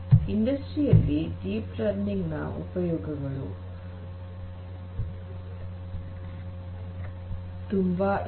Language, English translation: Kannada, So, deep learning, there are uses of deep learning a lot in the industries